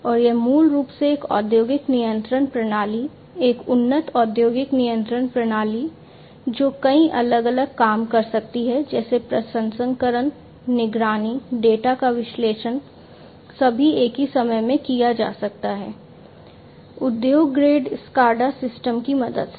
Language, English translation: Hindi, And it is basically an industrial control system, an advanced industrial control system, which can do many different things such as; processing, monitoring, analyzing data, all at the same time can be done, with the help of industry grade SCADA systems